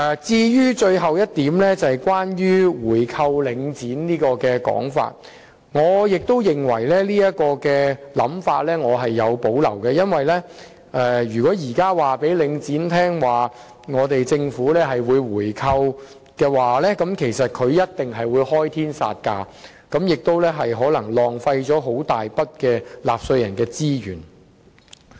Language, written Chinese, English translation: Cantonese, 至於最後一點是關於購回領展的說法。對於這種想法，我亦是有所保留的，因為如果現在告訴領展政府會進行回購，他們一定會開天殺價，這樣可能會浪費一大筆納稅人資源。, As to the last point which is about the proposal of buying back shares of Link REIT I also have reservations about it because if Link REIT is told that the Government will buy back its shares now they will definitely ask for unreasonably high prices probably resulting in a waste of considerable taxpayers resources